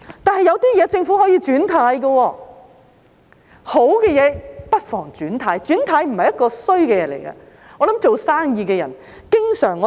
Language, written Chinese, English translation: Cantonese, 但是，有些事情政府可以"轉軚"，好的不妨"轉軚"，"轉軚"不是壞事，我想做生意的人經常......, However there are things on which the Government can change its mind . There is no harm in changing our mind for the better . Changing our mind is not a bad thing